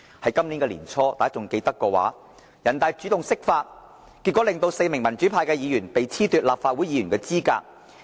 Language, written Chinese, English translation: Cantonese, 如果大家還記得，人大在今年年初主動釋法，令4名民主派議員被褫奪立法會議員的資格。, We might recall that the National Peoples Congress NPC took the initiative to interpret the Basic Law and four Members from the pro - democracy camp were thus disqualified from the Legislative Council